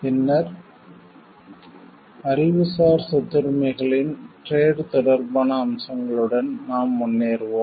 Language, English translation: Tamil, And then we will move forward with this trade related aspects of Intellectual Property Rights